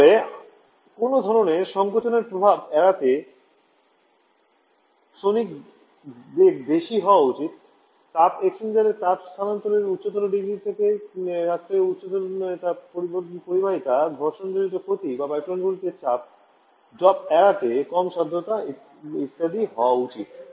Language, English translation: Bengali, The sonic velocity should be high to avoid any kind of compressibility effect high thermal conductivity to have higher degree of heat transfer in heat exchanger, low viscosity to avoid frictional losses or pressure drop in the plains etc